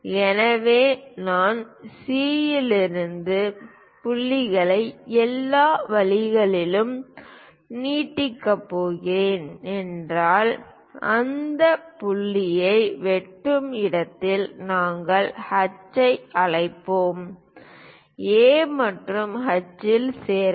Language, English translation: Tamil, So, if I am going to extend points from C all the way there, where it is going to intersect that point we will be calling H; join A and H